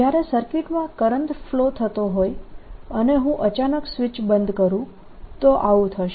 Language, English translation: Gujarati, this would happen, for example, if in the circuit there was a current flowing and i suddenly took switch off